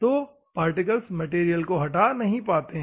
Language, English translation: Hindi, So, bigger particle means it can remove more material, ok